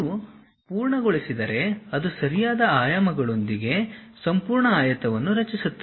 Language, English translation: Kannada, If you are done, then it creates the entire rectangle with proper dimensions